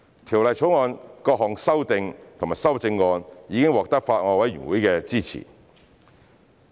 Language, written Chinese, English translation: Cantonese, 《條例草案》的各項修訂及修正案已獲得法案委員會的支持。, Various amendments in the Bill have been supported by the Bills Committee